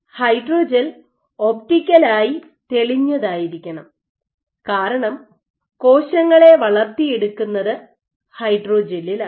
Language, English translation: Malayalam, The hydrogel should be optically clear because we will culture cells on them